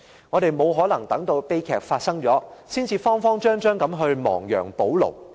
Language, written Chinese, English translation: Cantonese, 我們沒可能等到悲劇發生了，才慌慌張張地亡羊補牢。, It is impossible for us to just wait for a tragedy to happen and then try to remedy it in a flurry